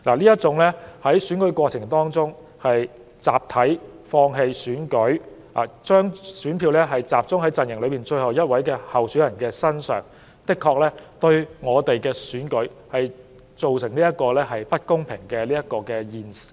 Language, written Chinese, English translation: Cantonese, 這種在選舉過程中集體放棄參選，並把選票集中在陣營內最後一名候選人身上的做法，確實會令選舉變得不公平。, Such deeds of dropping out of the race collectively in the course of the election and concentrating all their votes on the last remaining candidate will indeed bias the election